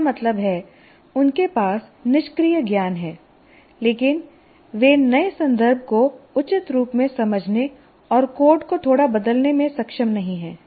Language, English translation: Hindi, So that is the, that means they have inert knowledge, but they are not able to appropriately kind of change the, understand the new context and slightly alter the code